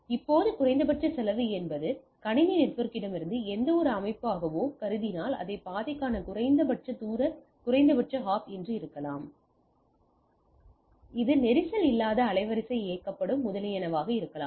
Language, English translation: Tamil, Now least cost may be a consideration from the system administrator whatever organisation or whatever organization thinks it may be the minimum distance minimum hop to the path, or it may be the congestion free bandwidth driven etcetera